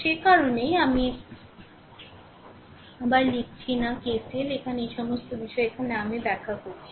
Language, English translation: Bengali, And that is why I am not writing again KCL is here all this things on the problem itself I have explained